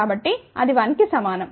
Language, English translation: Telugu, So, that is equal to 1